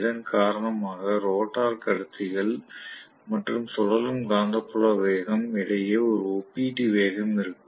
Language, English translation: Tamil, Because of which there will be a relative velocity between the rotor conductors and the revolving magnetic field speed